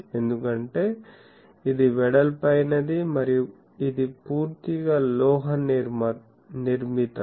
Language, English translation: Telugu, , and it is width because this is fully a metallic structure